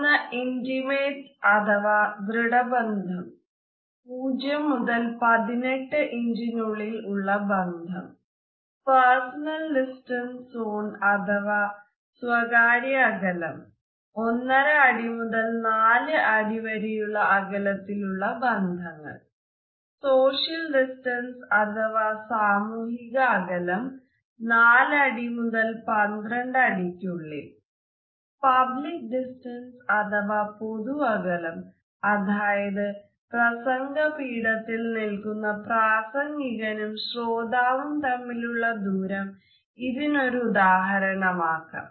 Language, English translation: Malayalam, One zone is the intimate zone; 0 to 18 inches of contact with somebody else the personal distance zone a foot and a half to 4 feet out social distance, 4 to 12 feet out or public distance where you go into lecture and you are interacting with the speaker whose up on a podium and you are separated from that person